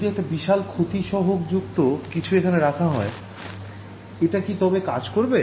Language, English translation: Bengali, if I just put something with a large loss coefficient will it work